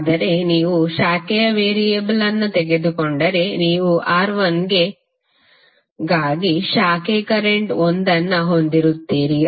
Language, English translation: Kannada, But if you take the branch variable, you will have 1 for branch current for R1